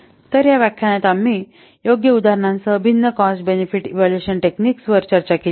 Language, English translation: Marathi, So, in this lecture in this lecture we have discussed the different cost benefit evaluation techniques with suitable examples